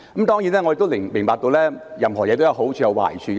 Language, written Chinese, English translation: Cantonese, 當然，我亦明白任何事情也有好處和壞處。, Certainly I understand that everything has its pros and cons